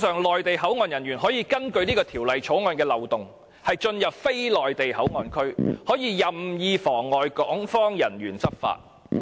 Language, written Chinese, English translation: Cantonese, 內地口岸人員因為《條例草案》的漏洞，可以進入非內地口岸區，更可以任意妨礙港方人員執法。, Due to the loopholes in the Bill Mainland Port officials may enter non - Mainland Port Area and arbitrarily obstruct Hong Kong Port officials from discharging their official duties